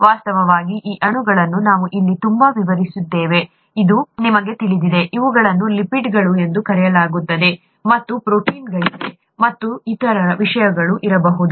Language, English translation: Kannada, In fact, these molecules you know that we have been describing so much here, these are called lipids and there are proteins, and there could be other things also